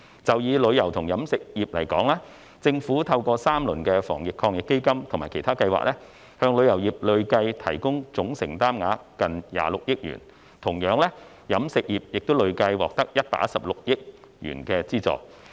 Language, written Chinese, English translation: Cantonese, 就以旅遊及飲食業來說，政府透過3輪防疫抗疫基金及其他計劃，向旅遊業累計提供總承擔額近26億元，同樣地，飲食業亦累計獲得116億元的資助。, Take the tourism and catering industries as an example . The Government provided the tourism industry with a total commitment of nearly 2.6 billion through three rounds of the Anti - epidemic Fund and other schemes